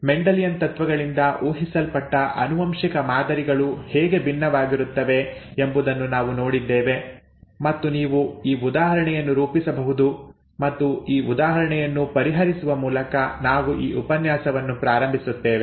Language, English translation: Kannada, We saw how the inheritance patterns could be different from those predicted by Mendelian principles and said that you could work out this example and we would start this lecture by solving this example